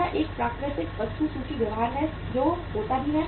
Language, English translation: Hindi, That is a natural inventory behaviour that happens also